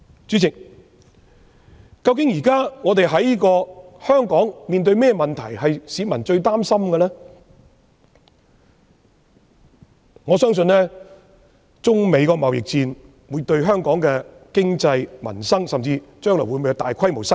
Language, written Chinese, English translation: Cantonese, 主席，現時市民最擔心的問題，是香港面對中美貿易戰，對本港經濟、民生有何影響，甚至將來會否導致大規模失業。, President at present Hong Kong people are most concerned about the impact of the Sino - United States trade war on Hong Kongs economy and peoples livelihood which may even lead to large - scale unemployment in the future